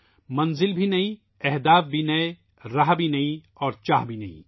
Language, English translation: Urdu, New destinations, new goals as well, new roads, new aspirations as well